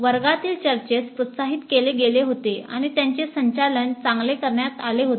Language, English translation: Marathi, Classroom discussions were encouraged and were well moderated